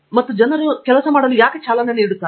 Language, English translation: Kannada, And why people are driven to work